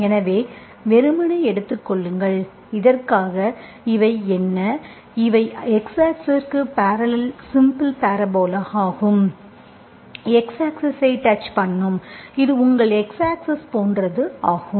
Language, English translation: Tamil, So you simply take, for this, what are these, these are simple parabolas parallel to x axis, just touching x axis, okay, this is your x axis, like this